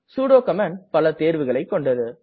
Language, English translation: Tamil, The sudo command has many options